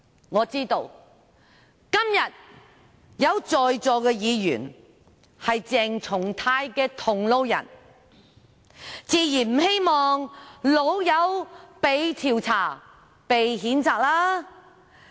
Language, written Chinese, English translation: Cantonese, 我知道今天在席的議員中，有些是鄭松泰議員的同路人，自然不希望"老友"被調查、被譴責。, I know that some of the Members present today are allies of Dr CHENG Chung - tai so naturally they do not want their buddy to be investigated and censured